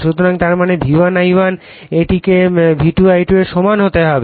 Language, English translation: Bengali, So, that means, V1 I1 it has to be equal to V2 I2 right